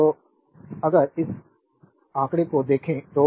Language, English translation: Hindi, So, if we see that figure this figure 2